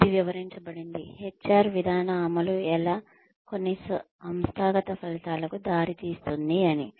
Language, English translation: Telugu, Which described, how HR policy implementation, could lead to certain organizational outcomes